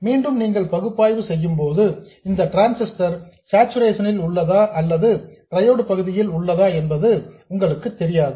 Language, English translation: Tamil, Again, when you do the analysis, you don't know whether this transistor is in saturation or in triode region